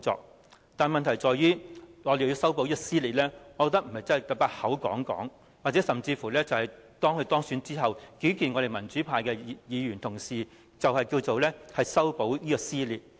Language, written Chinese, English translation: Cantonese, 然而，問題在於若我們要修補撕裂，我認為不能單靠口講，甚至在當她當選後，與民主派議員會面，便叫作修補撕裂。, Nevertheless the question is that if we are to mend the cleavage I do not think the lip service will do the job not to mention her meeting up with pan - democratic camp Members and deems that as mending the cleavage